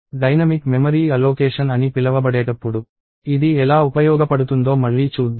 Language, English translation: Telugu, Again, we will see how this is useful when we do, what is called dynamic memory allocation